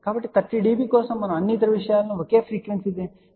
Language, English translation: Telugu, So, for 30 db we have kept all the other things same frequency range is same epsilon r is same